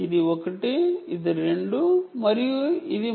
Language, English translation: Telugu, this is one, this is two and this is three